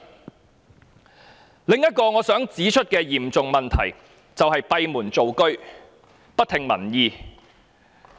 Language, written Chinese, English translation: Cantonese, 她的另一嚴重問題是閉門造車，不聽民意。, She has made another serious mistake by doing her job behind closed doors without regard for public opinions